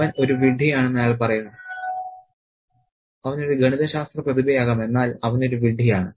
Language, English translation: Malayalam, He says that he is an idiot, he could be a math genius but he is an idiot